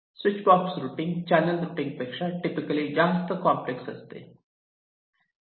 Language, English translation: Marathi, switchbox routing is typically more complex than channel routing and for a switchbox